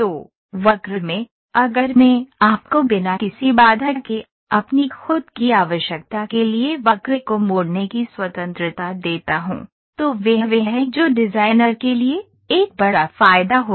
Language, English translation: Hindi, So, in curve, if I give you the freedom of tweaking the curve to your own requirement, without putting any constrain, then that is what will try to be a major advantage for the designer